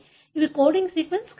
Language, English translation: Telugu, These are not coding sequence